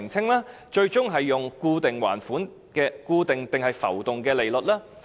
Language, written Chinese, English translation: Cantonese, 此外，最終將採用固定還是浮動利率？, Would the interest rates be fixed or floating in the end?